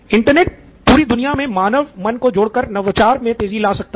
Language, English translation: Hindi, The internet by connecting human minds all over the world, can only accelerate innovation